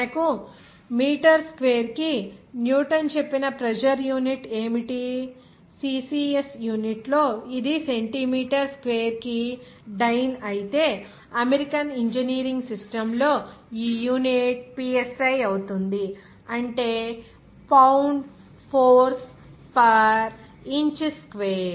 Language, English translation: Telugu, What is the unit for pressure that we told Newton per meter square, in CCS unit it is dyne per centimeter square whereas in American engineering system, this unit will be psi, that means pound force per inch square